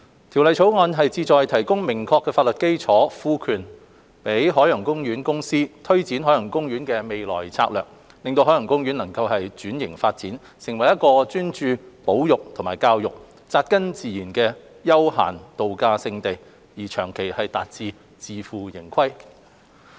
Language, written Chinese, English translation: Cantonese, 《條例草案》旨在提供明確法律基礎，賦權海洋公園公司推展海洋公園的未來策略，令海洋公園能轉型發展，成為一個專注保育和教育、扎根自然的休閒度假勝地，長遠達致自負盈虧。, The Bill aims to provide clear legal backing for the Ocean Park Corporation OPC to take forward the future strategy of Ocean Park OP so that OP can transform and develop into a travel destination that is grounded in nature with focus on conservation and education and can operate on a self - financing basis in the long run